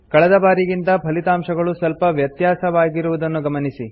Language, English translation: Kannada, Observe that the results are slightly different from last time